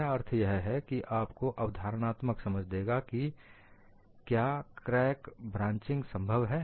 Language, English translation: Hindi, So, this gives you a possible explanation, why crack branching is possible